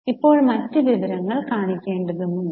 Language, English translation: Malayalam, Now you have to show other information